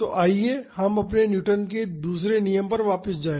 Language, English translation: Hindi, So, let us go back to our Newton’s second law